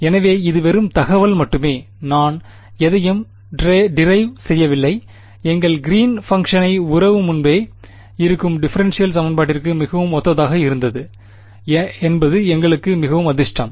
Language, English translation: Tamil, So, this is just information I have not derived anything, we got very lucky that our greens function relation came very similar to a preexisting differential equation